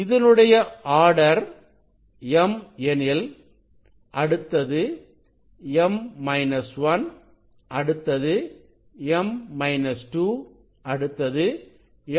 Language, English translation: Tamil, if this order is m, so next one will be m minus 1, next m minus 2, m minus 3